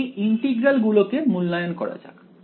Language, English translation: Bengali, Now, let us now let us evaluate these integrals ok